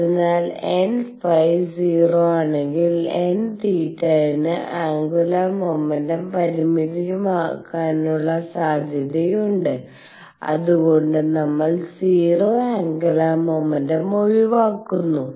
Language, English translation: Malayalam, So, that even if n phi is 0 there is a possibility of n theta having the angular momentum being finite we are excluding 0 angular momentum